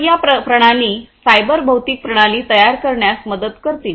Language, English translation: Marathi, So, so these systems would help in building the cyber physical system